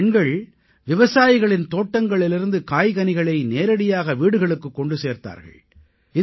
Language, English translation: Tamil, These women worked to deliver vegetables and fruits to households directly from the fields of the farmers